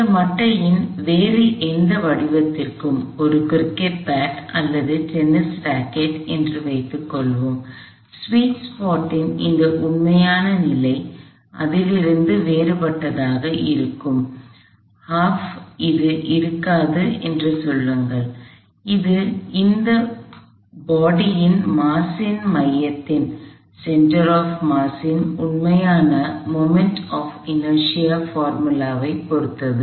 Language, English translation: Tamil, For any other shape of this bat, let say a cricket bat or a tennis rocket, this actual position of this sweets part would be different from it say would not be l over 2, it would depend on the actual moment of inertia formula of this body about it is own center of mass